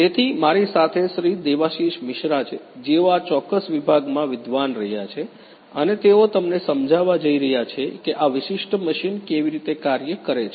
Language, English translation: Gujarati, Devashish Mishra, who have been the scholar in this particular department and he is going to explain to you how this particular machine works